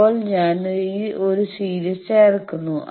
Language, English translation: Malayalam, Now, I add a series thing